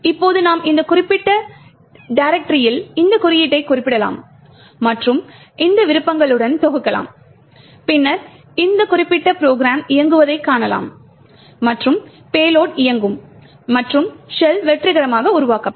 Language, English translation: Tamil, Now you can refer to this code in this particular directory and compile it with these options and then see this particular program executing and have the payload running and the shell getting created successfully